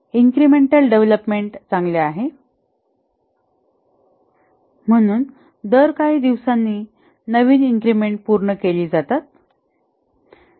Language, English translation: Marathi, Incremental development is good, therefore every few days new increments are developed and delivered